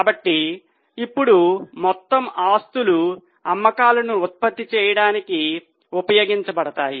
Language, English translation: Telugu, So now the total assets are used to generate sales